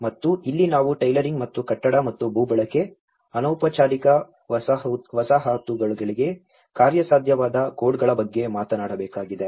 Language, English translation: Kannada, And this is where we need to talk about the tailoring and the building and land use, codes to the feasible in informal settlements